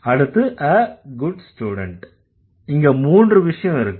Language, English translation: Tamil, Then a good student, there are three items here